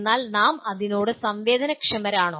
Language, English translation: Malayalam, But are we sensitized to that